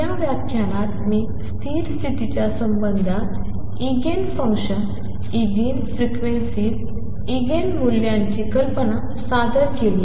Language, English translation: Marathi, So, what I have introduce in this lecture is the idea of Eigen functions, Eigen frequencies, Eigen values in connection with stationary states